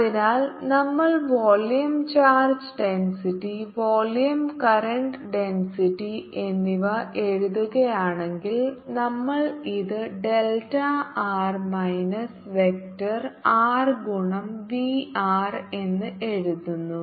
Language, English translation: Malayalam, so if we write the volume charge density, volume, current density will like this as delta r minus delta into v r